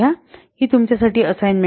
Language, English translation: Marathi, This is an assignment for you